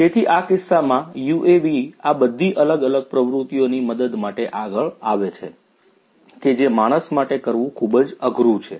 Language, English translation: Gujarati, So, UAVs can come as a helping hand to do all these different activities remotely, which would be otherwise difficult to be done by human beings